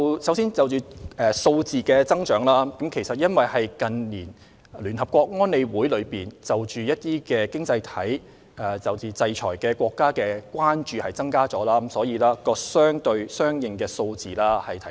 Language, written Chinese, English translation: Cantonese, 首先，就數字的增長，因為聯合國安理會近年增加對一些經濟體、制裁國家的關注，所以相應的個案數字有所提升。, First regarding the increase in numbers of cases UNSC has put more economies or countries under its radar in recent years and this is the reason why our numbers of investigated cases have correspondingly increased